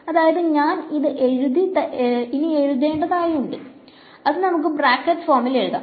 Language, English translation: Malayalam, So, if I were to write this in the component form so, let us write in bracket form